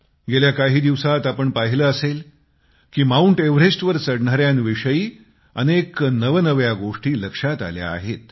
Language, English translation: Marathi, Recently, you must have come across quite a few notable happenings pertaining to mountaineers attempting to scale Mount Everest